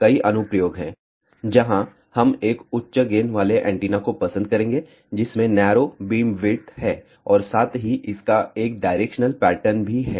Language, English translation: Hindi, There are many applications, where we would like to have a high gain antenna, which has a narrow beam width and also it has a directional pattern